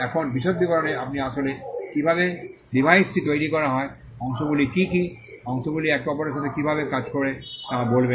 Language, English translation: Bengali, Now, in the detailed description, you will actually tell how the device is constructed, what are the parts, how the parts work with each other